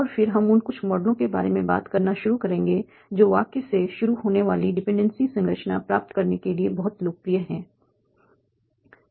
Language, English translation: Hindi, And then when we will start talking about some of the models that are very popular for getting the dependency structure started from the sentence